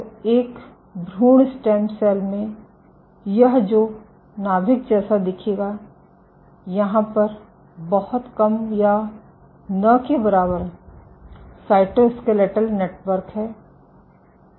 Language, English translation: Hindi, So, of an embryonic stem cell this is what the nucleus will look like, there is very little or no cytoskeletal network